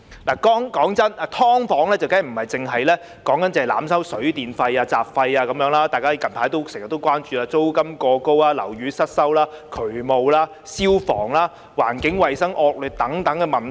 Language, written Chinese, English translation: Cantonese, 老實說，"劏房"的問題，當然不只是濫收水電費和雜費，還有大家經常關注的租金過高、樓宇失修、渠務、消防、環境衞生惡劣等問題。, Honestly issues concerning subdivided units are certainly not limited to the overcharging of water and electricity fees and other miscellaneous fees but include issues that constantly draw our attention such as the exceedingly high rent poor upkeep of buildings drainage and fire safety problems and unhygienic environment